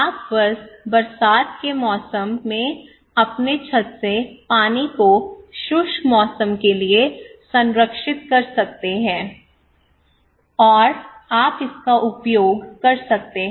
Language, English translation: Hindi, But you can just preserve the water from your rooftop during the rainy season, and you can preserve it for dry season, and you can use it okay